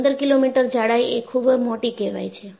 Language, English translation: Gujarati, 15 millimeter thick is very very large